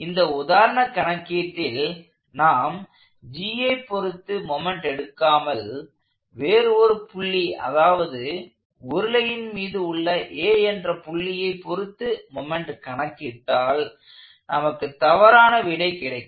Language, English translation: Tamil, If we do not, for example in this problem, if we did not take moments about G, but we choose to take moments about another point let us say A, on the cylinder we would actually get an incorrect answer